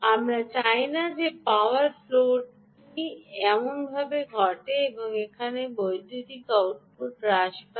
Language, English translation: Bengali, we don't want power float to happen this way and reduce the power output here